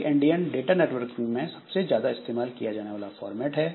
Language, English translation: Hindi, So, big Indian is the most common format in data networking